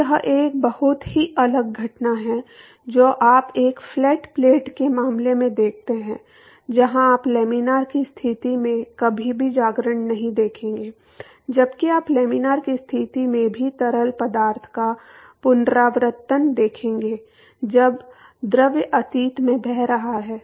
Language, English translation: Hindi, So, this is a very very different phenomena compare to what you see in a flat plate case where you will never see a wake formation in the laminar conditions while you will see recirculation of the fluid even under laminar conditions when the fluid is flowing past the cylinder and that is because of the geometry